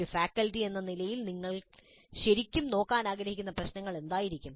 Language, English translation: Malayalam, As a faculty, what would be the issues that you want to really look at the challenges